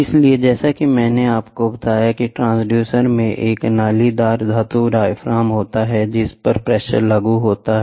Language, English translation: Hindi, So, as I told you the transducer comprises of a corrugated metal diaphragm on which the pressure is applied